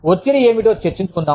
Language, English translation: Telugu, Let us discuss, what stress is